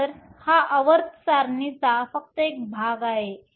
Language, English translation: Marathi, So, this is just a portion of the periodic table